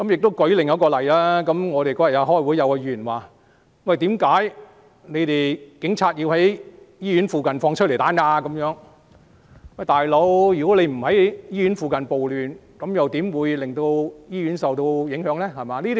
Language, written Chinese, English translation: Cantonese, 我舉另一個例子，我們當天開會，有議員問為何警察要在醫院附近施放催淚彈，"老兄"，如果他們不是在醫院附近暴亂，醫院又怎會受到影響呢？, I will cite another example . At the meeting on that day a Member asked why the Police had fired tear gas rounds near the hospital . Buddy had not the rioters started the riot near the hospital how would the hospital be affected?